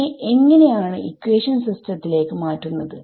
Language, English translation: Malayalam, So, how does that translate into a system of equations